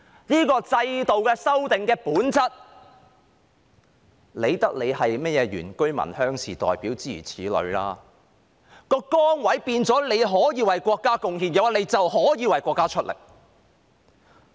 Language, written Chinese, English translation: Cantonese, 這個制度的修訂的本質，那管你是甚麼原居民或鄉士代表，當崗位變成可以為國家貢獻時，你便可以為國家出力。, By their nature these amendments to the system require that irrespective of whether you represent indigenous villagers or rural interests when a change in your position enables you to make contributions to the country then you can contribute to the country